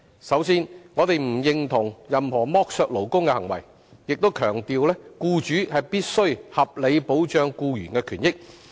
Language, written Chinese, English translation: Cantonese, 首先，我們不認同任何剝削勞工的行為，亦強調僱主必須合理保障僱員的權益。, First we disapprove of any exploitation of workers and stress that employers must accord reasonable protection to employees rights and benefits